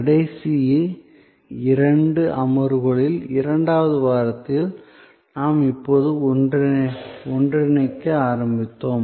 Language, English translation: Tamil, In the second week, in the last couple of sessions, we are now have started to converge